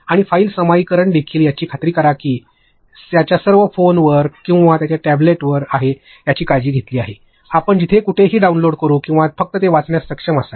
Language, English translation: Marathi, And also file sharing, make sure that it is all taken care of on their phones or their tablet us anywhere you should be able to download it or just read it